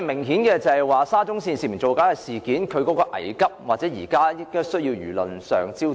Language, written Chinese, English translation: Cantonese, 顯然，"沙中線涉嫌造假"事件性質危急，現時亦成為輿論的焦點。, The alleged falsification of SCL reports which has currently become the focus of media attention is apparently urgent in nature